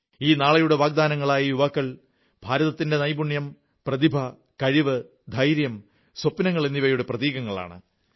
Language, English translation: Malayalam, These promising youngsters symbolise India's skill, talent, ability, courage and dreams